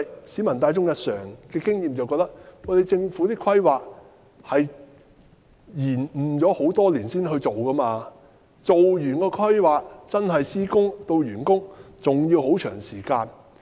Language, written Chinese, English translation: Cantonese, 市民大眾的經驗認為，政府的規劃是延誤多年才進行，做完規劃，由施工到完工，還有很長的時間。, Experience tells us the Governments planning has been delayed for many years before the project is proposed which will take quite a long time from the planning stage to project commencement and completion